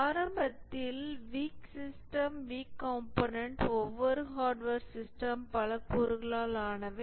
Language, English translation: Tamil, Initially the weak systems, the weak components, each hardware system is made up of many components